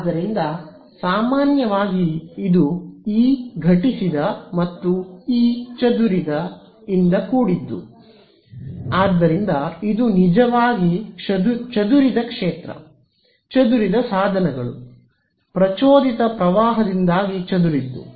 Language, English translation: Kannada, So, in general this is going to be E incident plus E scattered right, so this is actually this scattered field over here; scattered means, scattered by the I mean due to the induced current